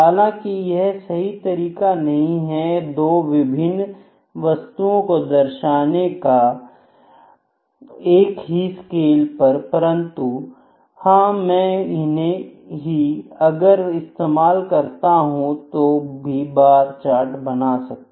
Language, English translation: Hindi, However, this is not a very proper way of representation of 2 different entities on 1 scale but yes, if I even use this only, if I even use this only, ok, it is also a bar chart